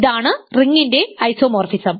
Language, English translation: Malayalam, So, this is an isomorphism of rings ok